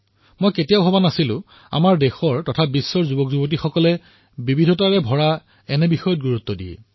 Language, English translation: Assamese, I had never thought that the youth of our country and the world pay attention to diverse things